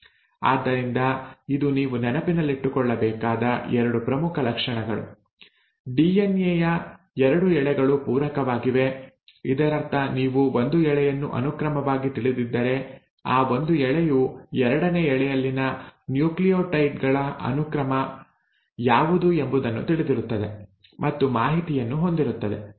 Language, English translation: Kannada, So this is, these are 2 major features I want you to keep in mind, one that the 2 strands of DNA are complimentary, so in a sense if you know the sequence of one strand, that one strand knows and has information as to what all would be the sequence of nucleotides in the second strand